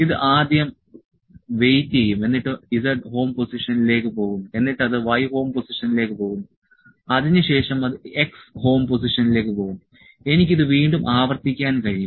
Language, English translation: Malayalam, It will first wait went to z home position and it went to y home position and it went to x home position I can repeat it again